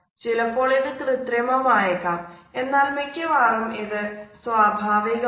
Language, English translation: Malayalam, Sometimes it can be artificial, but most of the times it comes out naturally